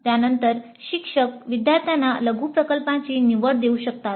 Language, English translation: Marathi, Then the instructor may offer the choice of a mini project to the students